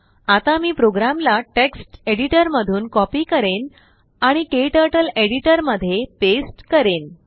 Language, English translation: Marathi, I will copy the program from text editor and paste it into KTurtles Editor